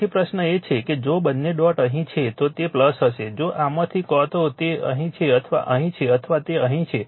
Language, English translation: Gujarati, So, question is that if both dots are here, it will be plus if either of this either it is here or here or it is here